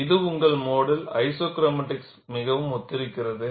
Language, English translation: Tamil, And this is very similar to your mode one isochromatics